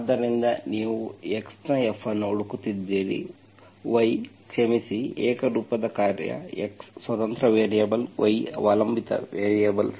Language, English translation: Kannada, So you are looking for F of x, y, sorry, homogeneous function, x is the independent variable, y the dependent variable